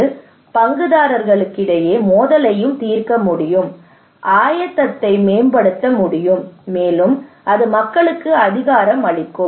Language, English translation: Tamil, It can also resolve conflict among stakeholders; it can improve preparedness, and it could empower the people